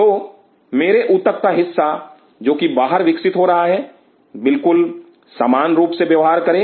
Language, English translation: Hindi, So, part of my tissue which is going outside should exactly behave the same way